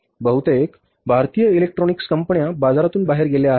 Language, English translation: Marathi, Most of the Indian electronics companies have gone out of the market, they have disappeared